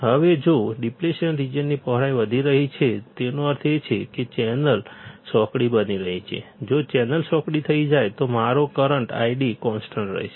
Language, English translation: Gujarati, Now, if the width of depletion region is increasing; that means, channel is becoming narrower; if channel becomes narrower, my current I D will be constant